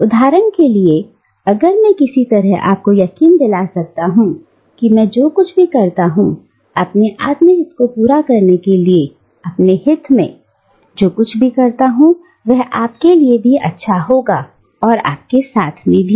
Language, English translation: Hindi, Thus, for instance, if I can somehow convince you that whatever I do, in my sort of to fulfil my self interest, whatever I do in my good, also serves your good, it is also in your self interest